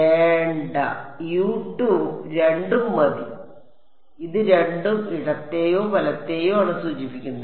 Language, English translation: Malayalam, No the U 2 two enough this two refers to left or right